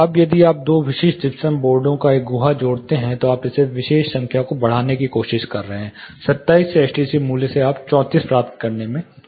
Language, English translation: Hindi, Now if you add a cavity at two specific gypsum boards, you are trying to increase this particular number; the STC value from 27 you are able to achieve 34